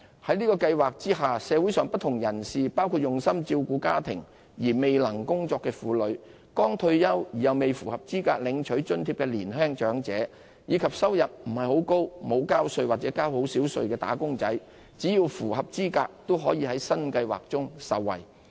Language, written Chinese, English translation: Cantonese, 在這計劃下，社會上不同人士，包括專心照顧家庭而未能工作的婦女、剛退休而未符合資格領取津貼的年輕長者，以及收入不高、沒有交稅或交稅不多的"打工仔"，只要符合資格，均可受惠於新計劃。, Under the Scheme qualified people from different sectors of the community―including women who dedicated themselves to homemaking at the expense of taking a job recently - retired elderly persons who are relatively young and thus ineligible for receiving subsidies as well as wage earners of modest income who pay little or no tax―will be benefited